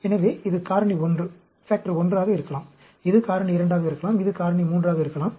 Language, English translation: Tamil, So, this could be factor 1; this could be factor 2; this could be factor 3